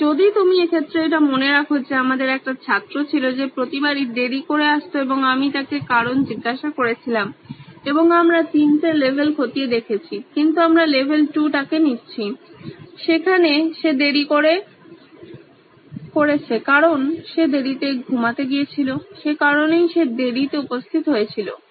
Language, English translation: Bengali, So in this case, if you remember this case,, we had this student who showed up late every time and I asked him why and we drill down to 3 levels but we are picking up on level 2 where he is late because he went to bed late that’s why he showed up late